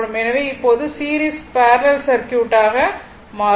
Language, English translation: Tamil, So, now, series parallel circuit so,